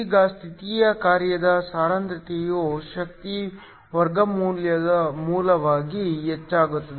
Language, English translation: Kannada, Now, the density of the state function increases as square root of the energy